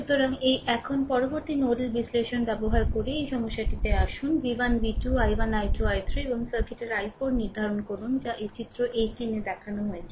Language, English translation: Bengali, So, this one now next you come to this problem using nodal analysis you determine v 1 v 2 i 1 i 2 i 3 and i 4 of the circuit as shown in figure 18 right this figure